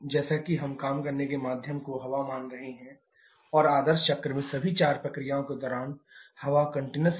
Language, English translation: Hindi, As we are assuming the working medium to be air and it is continuous to be air during all the four processes in the ideal cycle